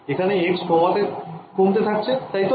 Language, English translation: Bengali, So, x is decreasing over here right